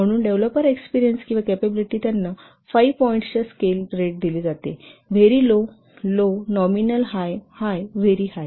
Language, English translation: Marathi, So the developers experience and the capability, they are rated as like one five point scale, very low, low, nominal, high, very high